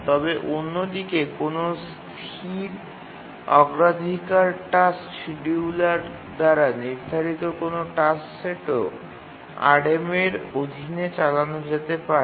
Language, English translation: Bengali, But on the other hand, any task set that is scheduled by any static priority task scheduler can also be run under RMA